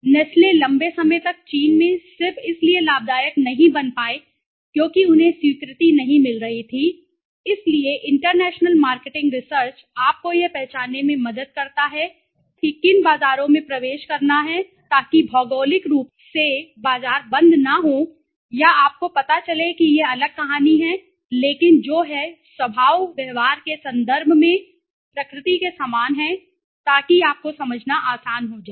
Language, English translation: Hindi, Nestle for a long time could not make profitable in China just because they were not getting acceptance okay, so international marketing research helps you to identify which markets to enter so markets geographically might not be close or you know far that is the different story but which are similar in nature in terms of traits behavior so that becomes easy for you to understand right